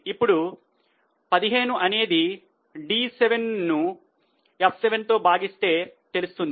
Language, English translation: Telugu, Now for March 15 it is D7 upon F7